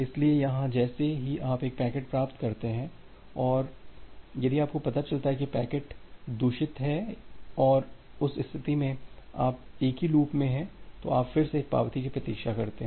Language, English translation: Hindi, So, here once you are receiving a packet and if you are finding out that the packet is corrupted and in that case, you are in the same loop, you again wait for an acknowledgement